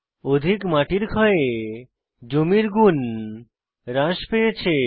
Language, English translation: Bengali, Heavy soil erosion had degraded the land quality